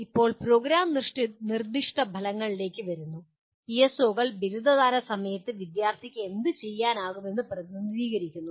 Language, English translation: Malayalam, Now coming to Program Specific Outcomes, PSOs represent what the student should be able to do at the time of graduation